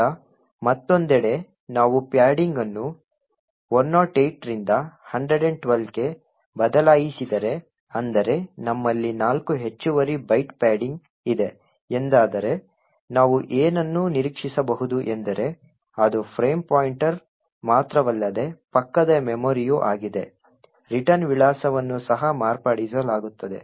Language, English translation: Kannada, Now if on the other hand we change padding from 108 to 112 which means that we have four extra bytes of padding, what we can expect is that it is not just the frame pointer that gets manipulated but also the adjacent memory which essentially is the return address would also get modified